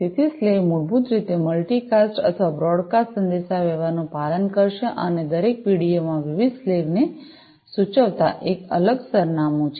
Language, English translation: Gujarati, So, the slaves basically will follow multicast or, broadcast communication and every PDO contains a distinct address denoting the several slaves